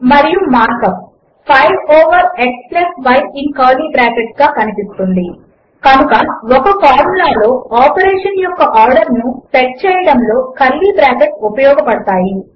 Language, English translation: Telugu, And the mark up looks like: 5 over x+y in curly brackets So using brackets can help set the order of operation in a formula